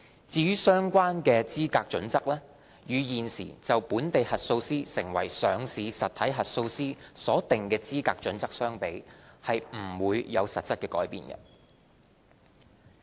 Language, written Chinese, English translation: Cantonese, 至於相關的資格準則，與現時就本地核數師成為上市實體核數師所訂的資格準則相比，不會有實質改變。, As for the eligibility criteria concerned there will be no material change to the existing eligibility criteria for a local auditor to be an auditor of a listed entity